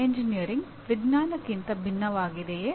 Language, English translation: Kannada, Is engineering different from science